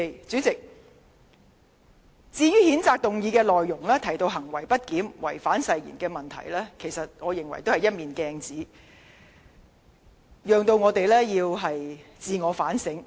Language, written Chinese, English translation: Cantonese, 主席，譴責議案提到行為不檢及違反誓言等問題，我認為是一面鏡子，讓議員自我反省。, President the censure motion brings up the issues of misbehaviour and breach of oath . In my view it can serve as a mirror for Members to do some self - reflection